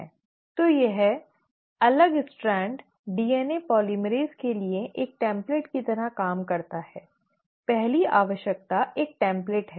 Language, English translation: Hindi, So this separated strand acts like a template for DNA polymerase, the first requirement is a template